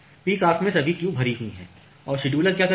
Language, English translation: Hindi, So, in the peak hours all the queues are full and what the scheduler is doing